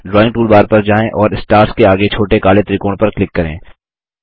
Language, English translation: Hindi, Go to the Drawing toolbar and click on the small black triangle next to Stars